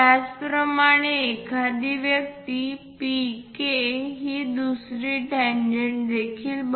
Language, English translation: Marathi, Similarly, one can construct PK also as another tangent